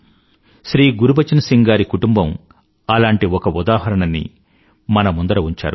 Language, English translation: Telugu, ShrimanGurbachan Singh ji's family has presented one such example before us